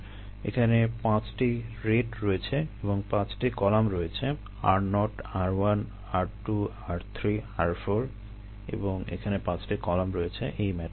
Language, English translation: Bengali, there five rates and five columns: r, zero, r one, r two, r, three, r, four, and there are five columns here in this matrix